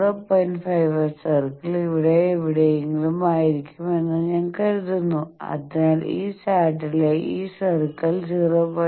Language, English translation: Malayalam, 55 circle will be somewhere I think here, so this circle in this chart this is something 0